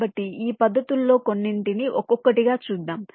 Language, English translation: Telugu, ok, so let us look at some of these methods one by one